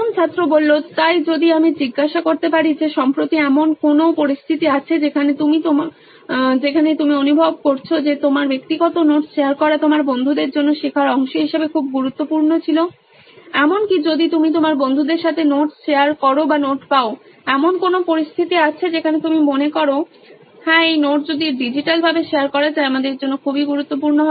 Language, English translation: Bengali, So if I may ask was there any situation recently you’ve come across where you felt sharing of your personal notes was very important as a part of learning for your friends as in even if you’ve shared notes with your friends or receive notes, is there any situation where you felt yes this sharing of notes is very important for us and if it can be done digitally